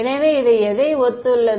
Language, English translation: Tamil, So, that corresponds to what